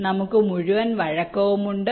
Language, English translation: Malayalam, we have entire flexibility